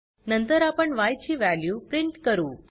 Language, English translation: Marathi, We print the value of y, here we get 0